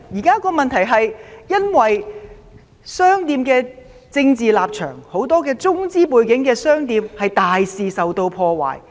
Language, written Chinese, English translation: Cantonese, 商店現時因為政治立場，很多中資背景的店鋪被大肆破壞。, At present many shops with Mainland background have been savagely vandalized due to their political stance